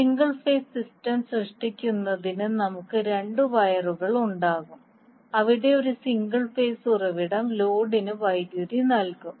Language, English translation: Malayalam, Now, in case of single phase system what will happen we will have two wires to create the single phase system where one single phase source will be supplying power to the load